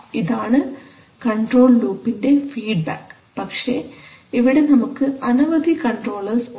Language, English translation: Malayalam, So this is the process, this is the feedback of the control loop but we are having a number of controller here